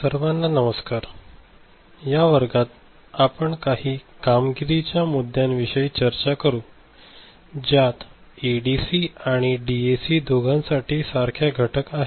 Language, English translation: Marathi, In this class, we shall discuss certain performance issues, which are having some common element for both ADC and DAC